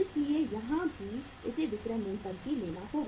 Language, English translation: Hindi, So here also it has to be taken at the selling price